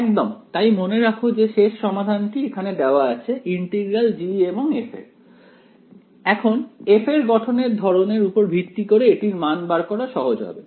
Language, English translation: Bengali, Exactly so, remember the final solution is given here the integral of G and F, now depending on the kind of form of f one or the other will be easier to evaluate